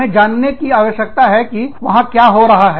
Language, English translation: Hindi, We need to know, what is happening, there